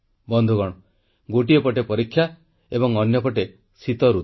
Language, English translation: Odia, Friends, on the one hand, we are facing examinations; on the other, the winter season